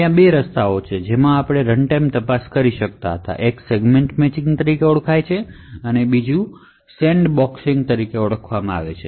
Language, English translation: Gujarati, So, there are two ways in which we could do runtime check one is known as Segment Matching and the other one is known as Address Sandboxing